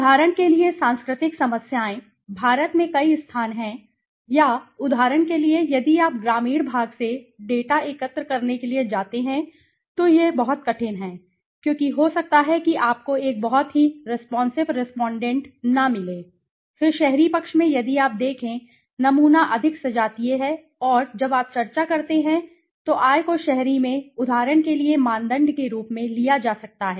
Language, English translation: Hindi, The cultural problems right, for example, there are some places many places in India or for example yeah if you go to collect data from the rural part it is very tough because you might not find a very responsive respondent out there right then in the urban side if you see the sample is more homogeneous right and income can be taken as a criteria for example in the urban when you discuss